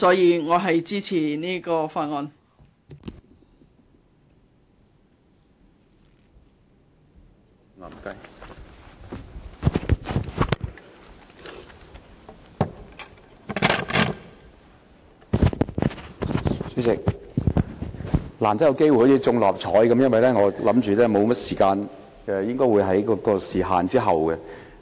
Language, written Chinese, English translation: Cantonese, 主席，我好像中了六合彩般，難得有機會發言，因為我預計所餘時間不多，我應該排在時限之後。, President I feel as if I have won the lottery that I am given the rare chance to speak because I expected that there was not much time left and my turn to speak should come after the time limit